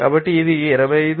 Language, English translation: Telugu, So, it will be coming as 25